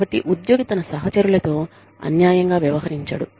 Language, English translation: Telugu, So, that the employee is not treated unfairly, by his or her peers